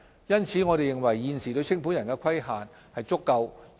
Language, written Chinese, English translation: Cantonese, 因此，我們認為現時對清盤人的規管是足夠的。, Therefore we think that our existing regulation of liquidators is sufficient